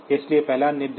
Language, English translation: Hindi, So, the first instruction